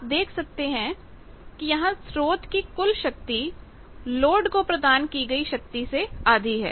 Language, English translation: Hindi, So, the sources total power half of that is getting delivered to the load